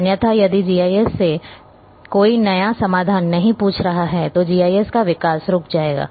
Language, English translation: Hindi, Otherwise, if there is nobody is an asking new solution from GIS then development of GIS will stop